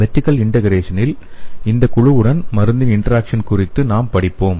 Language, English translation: Tamil, In case of vertical integration, we will be studying the interaction of drug with these group